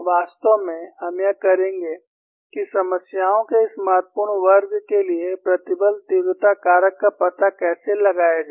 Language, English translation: Hindi, In fact, we would do how to find out stress intensity factor for this important class of problems